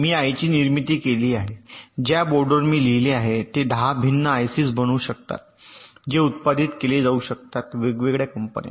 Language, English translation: Marathi, i have manufactured ah mother board on which i have put, let say, ten different i c is which may be manufactured by different companies